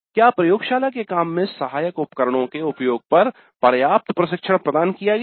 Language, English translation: Hindi, Adequate training was provided on the use of tools helpful in the laboratory work